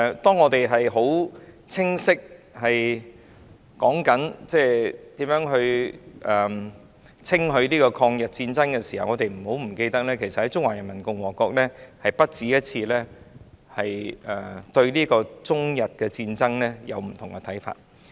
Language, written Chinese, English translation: Cantonese, 當我們在清晰討論如何稱許抗日戰爭時，請大家不要忘記，中華人民共和國曾不止一次對中日戰爭出現不同的看法。, While we are discussing loud and clear how to commend the war of resistance against Japanese aggression Members should not forget that the Peoples Republic of China PRC had expressed different views on the Sino - Japanese War on more than one occasion